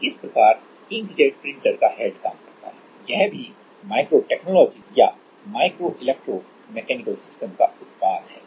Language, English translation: Hindi, So, this is how ink jet printer head works, this is also product of micro technology or micro electro mechanical system